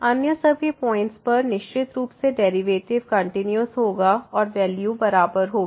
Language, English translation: Hindi, At all other points certainly the derivatives will be continuous and the value will be equal